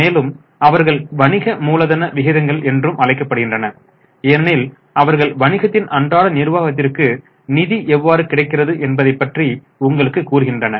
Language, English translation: Tamil, These are also known as working capital ratios because they tell you about availability of funds for day to day management of the business